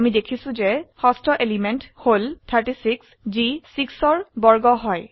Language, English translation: Assamese, We see the sixth element is now square of 6, which is 36